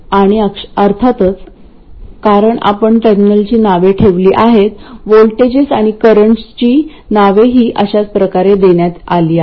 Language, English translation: Marathi, And of course because we have named the terminals, the voltages and currents are also named in a similar way